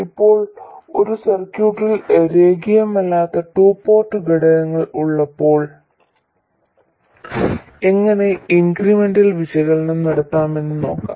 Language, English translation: Malayalam, Now, we will look at how to do incremental analysis when we have nonlinear two port elements in a circuit